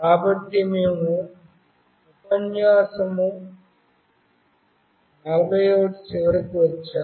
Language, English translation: Telugu, So, we have come to the end of lecture 41